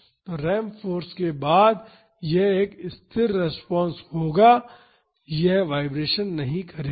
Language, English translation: Hindi, So, after the ramp force it will be a constant response, it would not vibrate